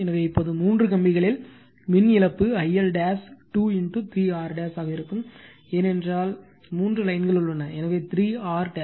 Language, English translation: Tamil, So, now the the power loss in the three wires will be I L dash square into 3 R dash, because three lines are there, so 3 R dash